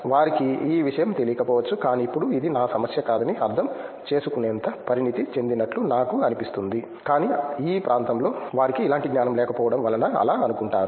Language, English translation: Telugu, They might not know the thing, but now I feel like I am mature enough to understand it’s not my problem, but it’s their lack of like knowledge in this area